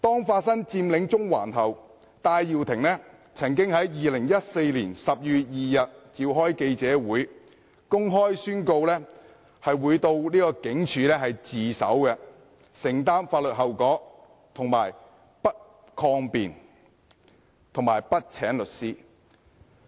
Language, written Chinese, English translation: Cantonese, 發生佔領中環後，戴耀廷曾經在2014年12月2日召開記者會，公開宣告會到警署自首，承擔法律後果，而且不會抗辯、不會請律師。, After Occupy Central broke out Benny TAI announced publicly in a press conference on 2 December 2014 that he would surrender to the Police and bear the legal consequences without making any defence or appointing any legal representation